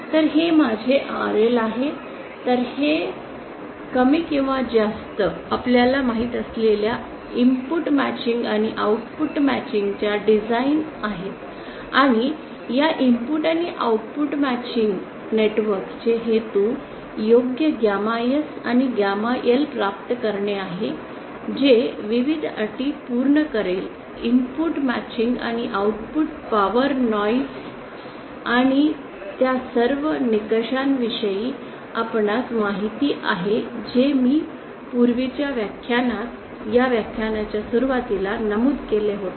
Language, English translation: Marathi, So this is my RL so this is more or less the design you know this input matching and output matching and what the purpose of this input and output matching networks is to obtain an appropriate gamma S and gamma L that will satisfy the conditions the various you know input matching and output power noise and all those criteria that I mentioned earlier earlier in the lecture today